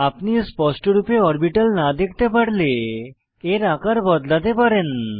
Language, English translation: Bengali, In case you are not able to view the orbital clearly, you can resize the orbital